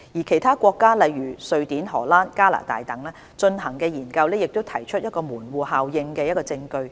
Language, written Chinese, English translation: Cantonese, 其他國家，例如瑞典、荷蘭、加拿大等，進行的研究也提出門戶效應的證據。, Studies carried out in other countries including Sweden the Netherlands and Canada also showed evidence of the gateway effect